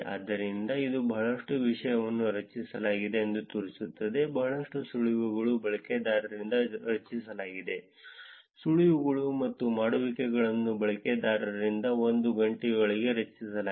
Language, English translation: Kannada, So, that is it shows the there is a lot of content that are generated, lot of tips are generated by users, tips and dones are generated by users within apart 1 hour